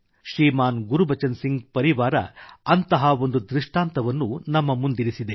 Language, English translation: Kannada, ShrimanGurbachan Singh ji's family has presented one such example before us